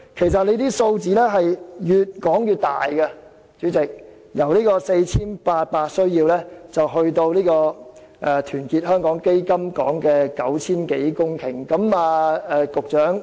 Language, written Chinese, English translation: Cantonese, 主席，有關數字越說越大，已由 4,800 公頃增加至團結香港基金所說的超過 9,000 公頃。, President the figures have been inflating and the total new land requirement has been adjusted upward from 4 800 hectares to over 9 000 hectares as suggested by Our Hong Kong Foundation